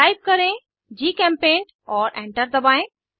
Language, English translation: Hindi, Type GChemPaint and press Enter